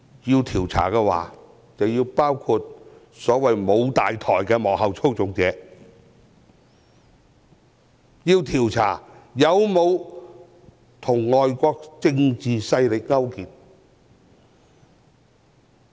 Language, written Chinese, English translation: Cantonese, 要調查的話，便應包括所謂沒有大台的幕後操縱者，以及調查有沒有與外國政治勢力勾結。, If an inquiry is to be conducted its scope should include ascertaining the masterminds behind the so - called actions without leaders and whether anyone has collaborated with foreign political powers